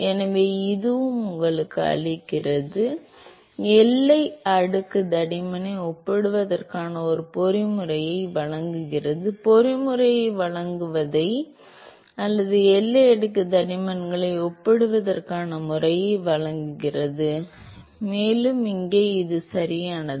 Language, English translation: Tamil, So, this also gives you; provides a mechanism to compare the boundary layer thickness, provides the provide the mechanism or provides the method to compare the boundary layer thicknesses, and same here right